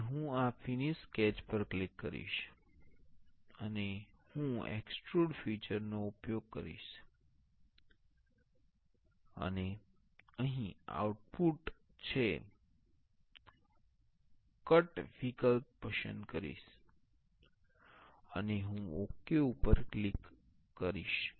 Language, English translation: Gujarati, And I will click this finished sketch I will use the extrude feature, and here is the output I will select the cut option and I will click ok